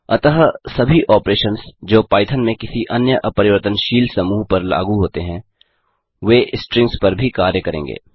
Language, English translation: Hindi, So all the operations that are applicable to any other immutable collection in Python, works on strings as well